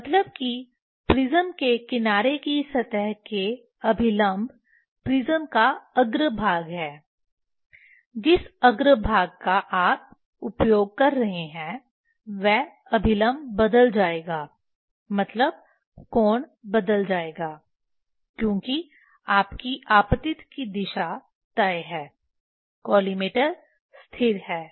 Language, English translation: Hindi, Means normal to the surface of the of the prism edge prism face which face you are using that normal will change means the angle will change because your incident direction is fixed collimator is fixed